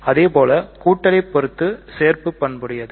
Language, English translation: Tamil, Similarly the addition is associative